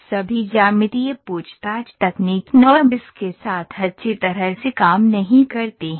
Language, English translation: Hindi, Not all geometric interrogation techniques works very well with the NURBS